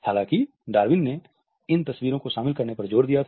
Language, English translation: Hindi, However, Darwin had insisted on including these photographs